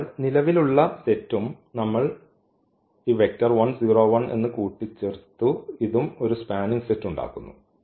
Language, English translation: Malayalam, So, the existing set and we have added one more this vector 1 0 1 and this is also forming a spanning set